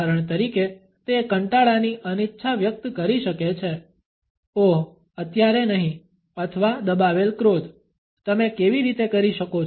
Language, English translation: Gujarati, For example, it can express boredom reluctance “oh not now” or suppressed rage “how can you”